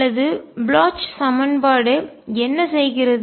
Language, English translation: Tamil, Or what does the Bloch equation do